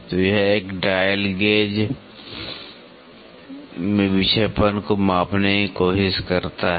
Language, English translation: Hindi, So, this tries to measure the deflection in the dial gauge